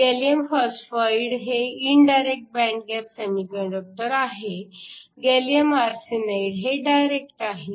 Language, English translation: Marathi, So, gallium phosphide is an indirect band gap semiconductor, gallium arsenide is direct